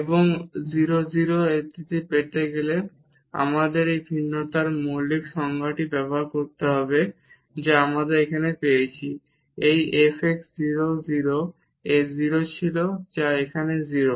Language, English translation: Bengali, And to get this at 0 0 we have to use this fundamental definition of the differentiability which we have just got here this f x at 0 0 was 0 so, which is 0 here